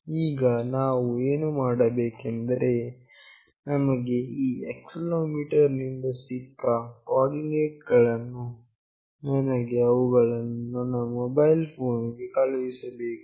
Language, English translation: Kannada, Now, what I want to do is that the coordinates that we received from this accelerometer, I want to send them to my mobile phone